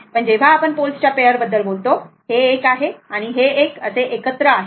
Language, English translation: Marathi, But when you are talking about pair of poles, it is 1 and 1 together